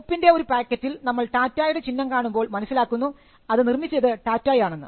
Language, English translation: Malayalam, So, when we see the Tata mark on a packet of common salt, we know who created it